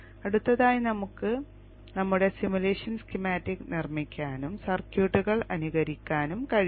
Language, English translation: Malayalam, Next we can start on building our simulation schematics and simulate the circuits